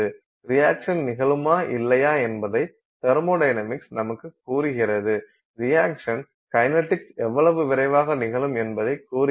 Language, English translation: Tamil, So, thermodynamics tells you whether or not the reaction will occur, kinetics tells you how fast the reaction will occur